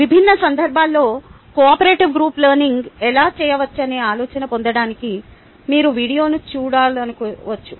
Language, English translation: Telugu, as i mentioned earlier, you might want to watch the video to get an idea of how cooperative group learning can be done in different context